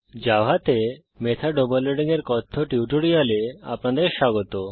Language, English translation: Bengali, Welcome to the Spoken Tutorial on method overloading in java